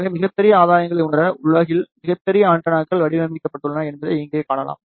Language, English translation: Tamil, So, you can see here very large antennas have been designed in the world to realize very large gain